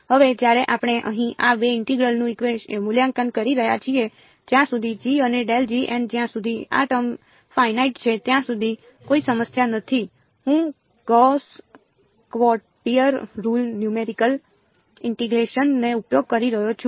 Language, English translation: Gujarati, Now, when we are evaluating these two integrals over here as long as g and grad g dot n hat as long as these terms are finite there is no problem I can use gauss quadrature rule numerical integration